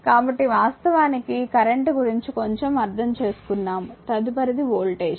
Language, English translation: Telugu, So, this is actually little bit understanding of the current, next is the voltage